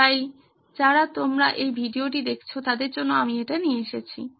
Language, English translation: Bengali, So, I am bringing this to you who are viewing this video